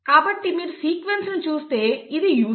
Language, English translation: Telugu, So if you look at the sequence this is UCC